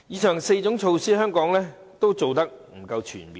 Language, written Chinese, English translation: Cantonese, 上述4項措施，香港均做得不夠全面。, The four measures mentioned above have not been comprehensively implemented in Hong Kong